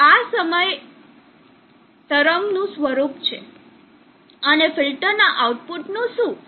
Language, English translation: Gujarati, So this is the wave form at this point, and what about the output of the filter